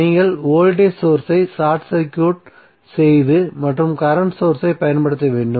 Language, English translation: Tamil, You have to simply short circuit the voltage source and apply the current source